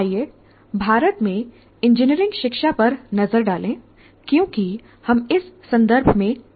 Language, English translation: Hindi, Now let us look at engineering education in India because we are operating in that context